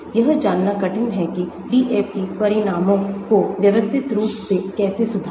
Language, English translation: Hindi, hard to know how to systematically improve DFT results